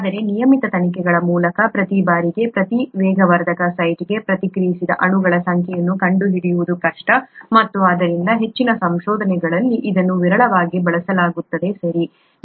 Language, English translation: Kannada, But it’s rather difficult to find out the number of molecules reacted per catalyst site per time through regular investigations and therefore it is rarely used even in most research, okay